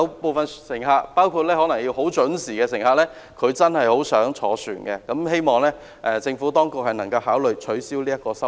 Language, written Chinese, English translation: Cantonese, 部分乘客，包括需要很準時的乘客，真的很想乘船，希望政府當局能夠考慮取消有關收費。, Some passengers including those who punctual - minded really love to boat cruises . It is hoped that the Administration will consider abolishing the related fee